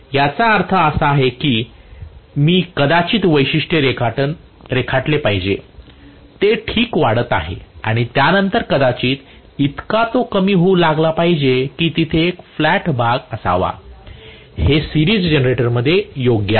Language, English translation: Marathi, What he means is I should have probably drawn the characteristic, it is increasing alright and after that it should start dropping hardly ever there should be a flat portion, in the series generator that’s right